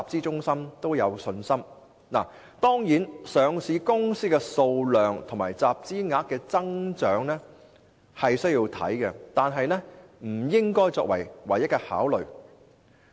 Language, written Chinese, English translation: Cantonese, 當然，他們須留意上市公司的數量及集資額的增長，但這些不應該是唯一的考慮。, Of course they have to take note of the number of companies listed here and the growth in the volume raised but these should not be the sole considerations